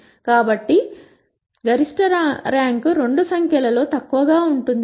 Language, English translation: Telugu, So, the maximum rank can be the less of the two numbers